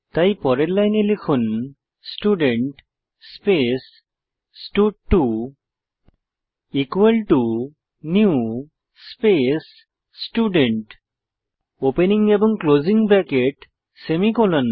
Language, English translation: Bengali, So type next lineStudent space stud2 equal to new space Student , opening and closing brackets semicolon